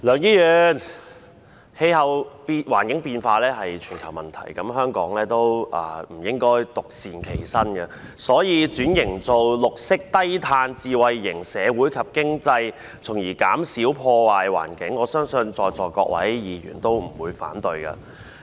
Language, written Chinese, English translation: Cantonese, 梁議員，氣候變化是全球問題，香港也不應該獨善其身，所以轉型為綠色低碳智慧型社會及經濟，從而減少破壞環境，我相信在座各位議員都不會反對。, Mr LEUNG climate change is a global issue and Hong Kong should not stay aloof from the situation . For this reason I believe no Member present here will oppose the transformation of Hong Kong into a green and low - carbon smart society and economy thereby minimizing the destruction of the environment